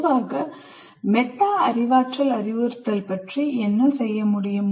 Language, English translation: Tamil, And in general what can be done about metacognitive instruction